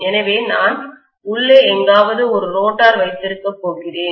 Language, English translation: Tamil, So I am going to have a rotor somewhere inside